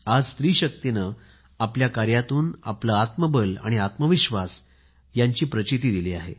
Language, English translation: Marathi, Today our woman power has shown inner fortitude and selfconfidence, has made herself selfreliant